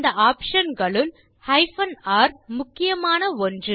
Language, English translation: Tamil, Among the options R is an important one